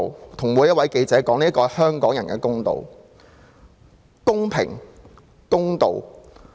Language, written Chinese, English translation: Cantonese, 我要跟每一位記者說：這是香港人的公道。, I want to tell each of the reporters that this is the justice of the people of Hong Kong